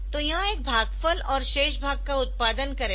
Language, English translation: Hindi, So, this will produce a quotient and a remainder part